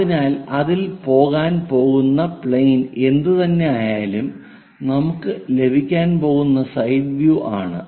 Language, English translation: Malayalam, So, whatever the plane we are going to get on that we are going to have is a side view